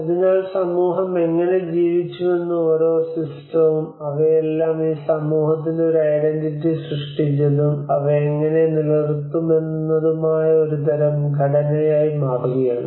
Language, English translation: Malayalam, So each and every system how the community lived they are all becoming a kind of structures that have created an identity for this community and how they can sustain